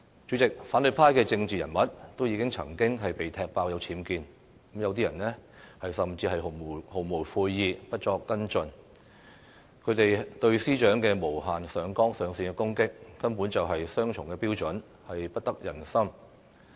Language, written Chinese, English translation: Cantonese, 主席，反對派的政治人物也曾經被踢爆有僭建，有些人甚至毫無悔意，不作跟進，他們對司長的無限上綱上線的攻擊，根本是雙重標準，不得人心。, President it was uncovered that certain opposition political figures also have UBWs in their homes but some of them were unrepentant and took no follow - up actions . Their unscrupulous attack on the Secretary for Justice basically underlines their double standards and unpopularity